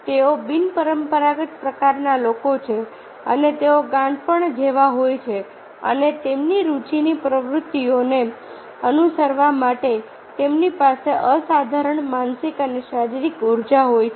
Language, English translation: Gujarati, they are unconventional type of people and they are more akin to madness and they have exceptional mental and physical energy for pursuing their activity of interest